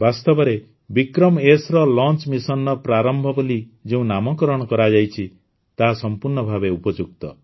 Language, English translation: Odia, Surely, the name 'Prarambh' given to the launch mission of 'VikramS', suits it perfectly